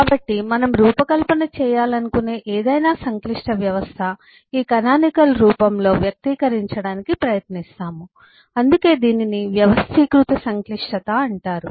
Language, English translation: Telugu, so any complex system we want to design, we will try to express that in this canonical form and that’s why it’s called organized complexity